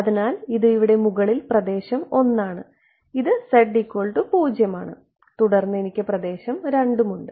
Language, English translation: Malayalam, So, this over here on top is region 1, this is z is equal to 0 and then I have region 2 ok